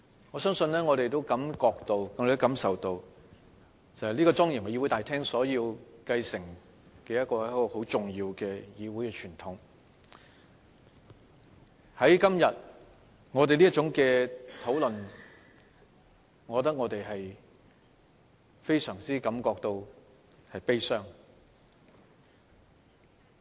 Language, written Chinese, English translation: Cantonese, 我們也感受到，這莊嚴議會大廳所要繼承的是一種很重要的議會傳統，但今天這種討論讓我們感到非常悲傷。, We are all aware that what this solemn Chamber is supposed to inherit is a parliamentary tradition of immense significance . But this kind of discussion today saddens us a great deal